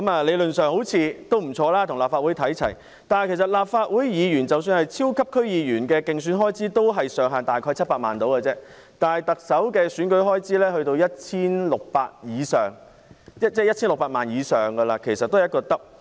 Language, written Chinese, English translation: Cantonese, 理論上，這好像不錯，但是立法會的"超級區議員"的競選開支上限也只是700萬元，而特首的選舉開支則高達 1,600 萬元以上，其實是雙倍。, Theoretically it seems to be good . Yet the maximum election expense limit for the Super District Council FC of the Legislative Council is only 7 million and the election expense limit for the Chief Executive Election is as high as 16 million which is almost double